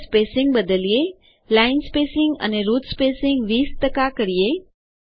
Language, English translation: Gujarati, Let us change the spacing, line spacing and root spacing each to 20 percent